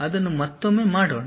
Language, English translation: Kannada, Let us do that once again